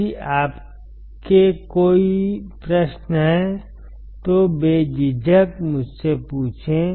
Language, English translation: Hindi, If you have any questions feel free to ask me